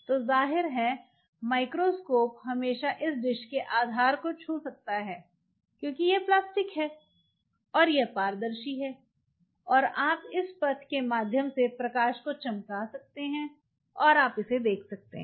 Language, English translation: Hindi, So obviously, the microscope can always touch the base of this vessel, it wants microscope objective can touch the base of those vessel because it is plastic right and it is transparent, and you can shine the light through this path and you can visualize it